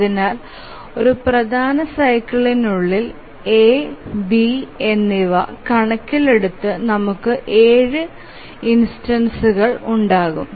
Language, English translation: Malayalam, So within one major cycle we will have seven instances altogether considering both A and B